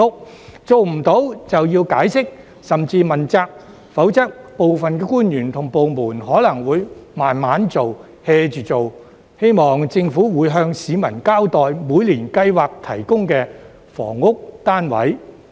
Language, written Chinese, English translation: Cantonese, 如果做不到便要解釋，甚至問責，否則部分官員及部門可能會慢慢做、"hea" 着做，希望政府會向市民交代每年計劃提供的房屋單位。, If they fail to do so they have to offer an explanation and even be held accountable otherwise some officials and departments may do it slowly and haphazardly . I hope that the Government will explain to the public the housing units it plans to provide each year